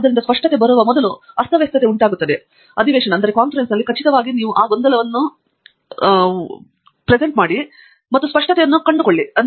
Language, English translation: Kannada, So, there is going to be chaos before clarity comes in, for sure in the session, you have to be really able to persist though that chaos and sustain that with the hope of finding the clarity